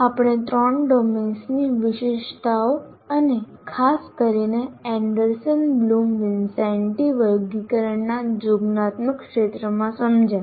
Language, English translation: Gujarati, We understood the features of the three domains and particularly in the cognitive domain, the Anderson Bloom Wincenti taxonomy